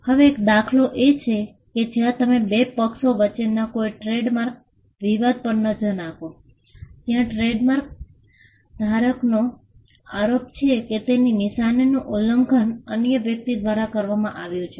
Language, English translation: Gujarati, Now one instance is, if you look at any trademark dispute between two parties where, trademark holder alleges that his mark has been infringed by another person